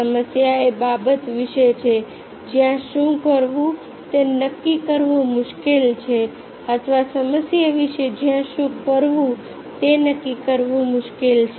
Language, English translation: Gujarati, a problem is about: about a matter which it is difficult to decide what to do, or about issue where it is difficult to decide what to do